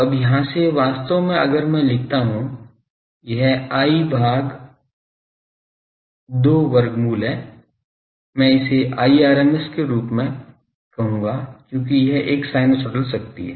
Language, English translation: Hindi, Now so, from here actually if I call that I by root 2, I will call it as I rms because it is a sinusoidal power